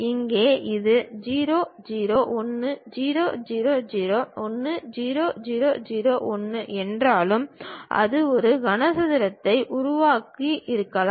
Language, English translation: Tamil, Though here this 0 0 1 0 0 0 1 0 0 0 1, it may be forming a cuboid